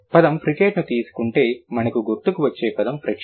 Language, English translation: Telugu, So, when it is related to fricate, the word that comes to our mind is friction